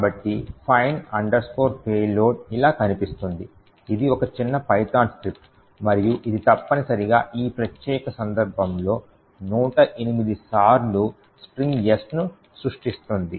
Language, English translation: Telugu, So, find payload looks like this, it is a small python script and it essentially creates a string S in this particular case a hundred and eight times